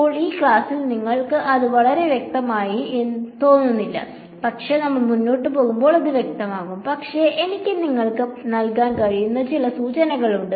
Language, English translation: Malayalam, Now this may not seem very clear to you in this class, but it will become clear as we go along, but there are there are a few hints that I can give you